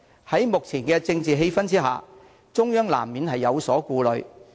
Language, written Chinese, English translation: Cantonese, 在目前的政治氣氛下，中央難免有所顧慮。, Against the current political backdrop it is no surprise that the Central Authorities are cautious